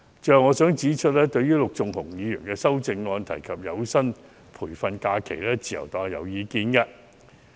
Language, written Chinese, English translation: Cantonese, 最後，我想指出，對於陸頌雄議員修正案提及的有薪培訓假期，自由黨有意見。, Lastly I would like to say that the Liberal Party does not endorse the introduction of paid training leave proposed in Mr LUK Chung - hungs amendment